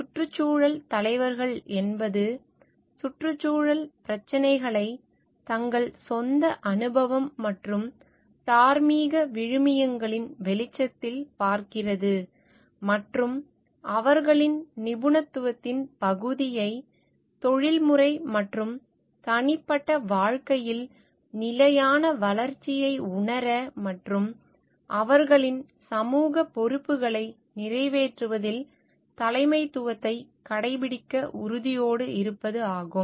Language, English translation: Tamil, Environmental leaders are those who look at environmental problems in light of their own experience and moral values and are committed to leveraging, their area of expertise to realise sustainable development in the professional and private lives and exercise leadership in fulfilling their social responsibilities